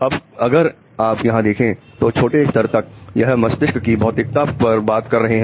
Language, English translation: Hindi, Now as you see till a small level here if you look at it, it is all talking about physicality of the brain